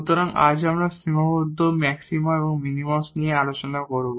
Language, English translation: Bengali, So, today we will discuss the Constrained Maxima and Minima